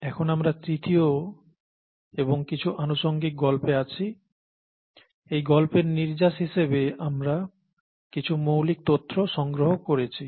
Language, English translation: Bengali, We are into our third story and some side stories and as a result of these stories we are picking up some basic information